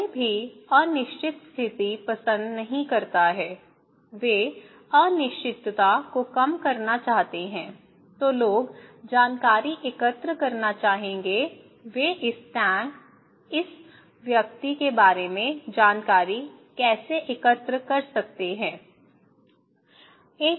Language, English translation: Hindi, So, we would like to; no one likes uncertain situation, they want to minimise the uncertainty so, then people would like to collect information, how they can collect information about this tank, this person